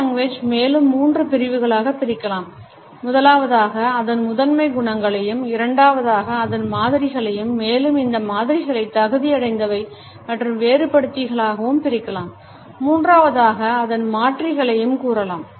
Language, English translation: Tamil, Paralanguage can be further divided into three categories as of primary qualities, secondly, modifiers which can be further subdivided into qualifiers and differentiators and thirdly, the alternates